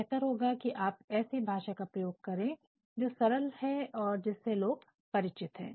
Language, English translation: Hindi, So, it is better to go for a language that is plain that is familiar